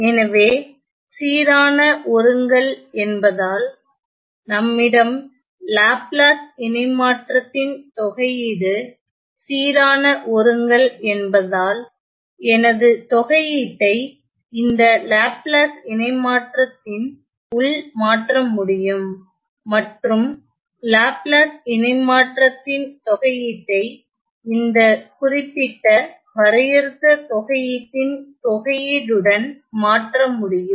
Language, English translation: Tamil, So, due to uniform convergence, due to the fact that, we have uniform convergence of the integral in the Laplace transform, I can always replace or I can always exchange my integral within the Laplace transform and replace or interchange the integral of the Laplace transform with the integral of this particular definite integral